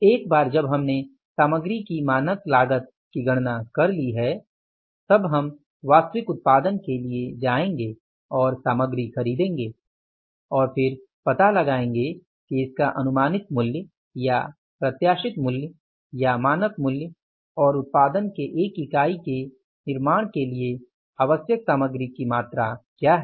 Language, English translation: Hindi, Once we have calculated the standard cost of the material then we will go for the actual production and buying the material then going for the actual production and then finding out that what was the predicted price or anticipated price or the standard price as well as the quantity of the material required for manufacturing the one unit of production or the total production